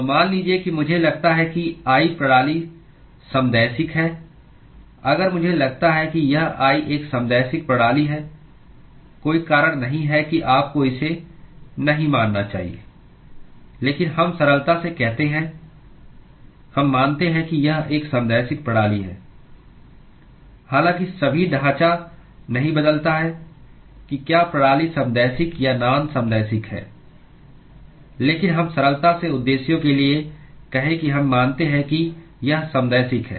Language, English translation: Hindi, So, supposing I assume the system is isotropic if I assume that it is a isotropic system there is no reason that you should not assume it, but let us say that for simplicity, we assume that it is a isotropic system, although all the framework does not change whether the system is isotropic or non isotropic, but let us say for simplicity purposes we assume that it is isotropic